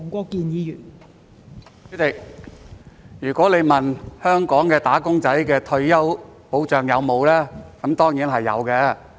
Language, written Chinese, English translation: Cantonese, 代理主席，如果你問香港"打工仔"有沒有退休保障，那當然是有的。, Deputy President if you ask whether there is retirement protection for wage earners in Hong Kong of course there is